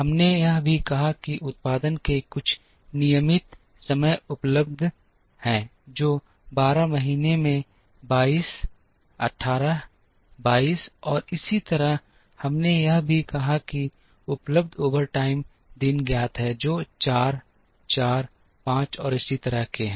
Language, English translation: Hindi, We also said that there are some regular time days of production available, which are 22, 18, 22, and so on, in the 12 months, we also said that the overtime days available are known which are 4, 4, 5, and so on